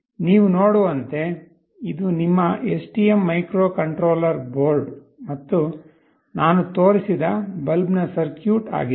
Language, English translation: Kannada, As you can see this is your STM microcontroller board and the circuit for the bulb that I have shown